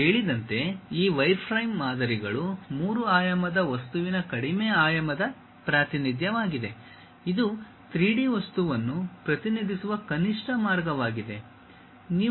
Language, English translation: Kannada, As I said these wireframe models are low dimensional representation of a three dimensional object; this is the minimalistic way one can really represent 3D object